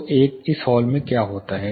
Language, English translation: Hindi, So, what happens in this hall